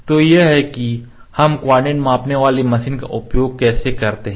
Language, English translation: Hindi, So, this is how we use the coordinate measuring machine